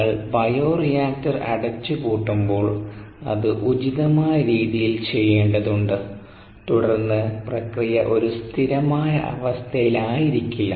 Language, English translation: Malayalam, when you shutdown the bioreactor it needs to be done in an appropriate fashion and then the process will not be a steady state